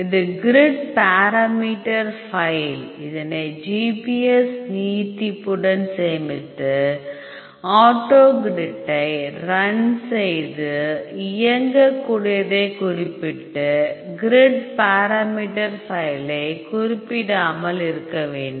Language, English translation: Tamil, This is grid parameter file you have to save with the GPF extension, then you have to run the autogrid run autogrid specify the executable unspecify your grid parameter file